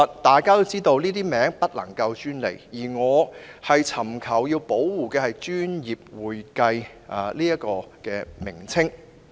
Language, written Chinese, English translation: Cantonese, 大家也知道，這些名詞是不能夠專利化的，而我尋求保護的只是"專業會計"的稱謂。, As we all know these terms cannot be monopolized and I merely seek to protect the description professional accounting